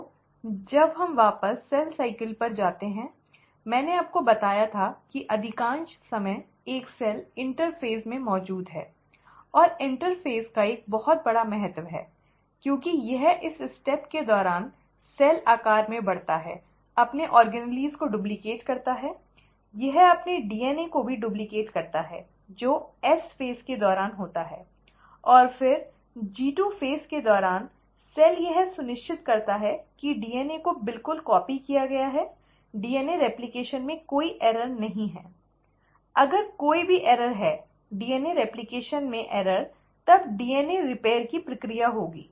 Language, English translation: Hindi, So, when we go back to cell cycle, I told you that majority of the time, a cell exists in the interphase; and the interphase is of very huge importance because it is during this stage that the cell grows in size, duplicates its organelles, it also ends up duplicating its DNA, which happens during the S phase, and then during the G2 phase, the cell ensures that the DNA has been copied exactly, there are no errors in DNA replication, if at all there are any errors in, errors in DNA replication, the process of DNA repair will take place